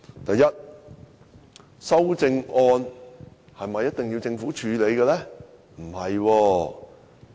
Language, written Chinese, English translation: Cantonese, 第一，修正案是否一定要政府處理？, First must amendments be proposed by the Government?